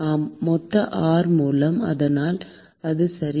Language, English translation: Tamil, Yeah, by R total; so that’s right